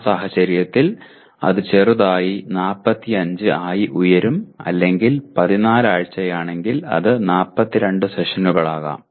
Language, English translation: Malayalam, In that case it will slightly go up to 45 or it may be if it is 14 weeks it could be 42 sessions